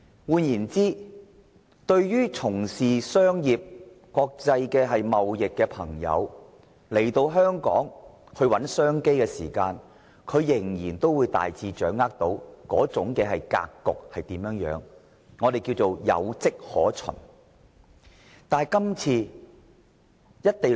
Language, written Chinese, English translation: Cantonese, 換言之，當從商和國際貿易朋友來港尋找商機時，他們仍可大致掌握香港的格局，我們稱之為"有跡可循"。, In other words when businessmen or international traders come to Hong Kong to seek business opportunities they may still have a general grasp of Hong Kongs circumstances . This is what we call basis